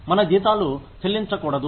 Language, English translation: Telugu, We should not pay our salaries